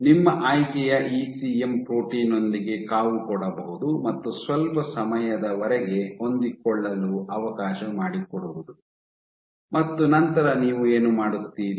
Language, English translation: Kannada, So, you incubated with your ECM protein of choice let it fit for some time and then what you do